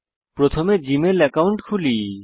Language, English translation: Bengali, First we open the Gmail account